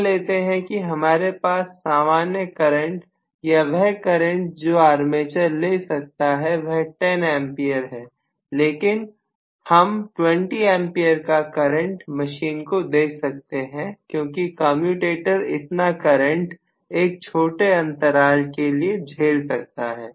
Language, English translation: Hindi, I may have the normal current or carried by an armature to be 10 amperes but I may allow 20 amperes to go through my machine, probably because the commutator will be able to withstand that much amount of current for a short while